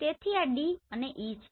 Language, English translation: Gujarati, So D and E